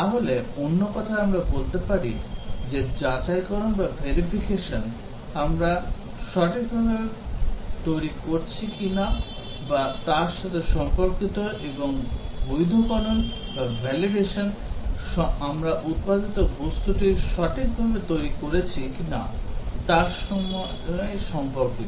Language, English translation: Bengali, So, in other words we can say that verification is concerned with checking whether we are developing it right and validation is concerned with checking whether we have developed the product right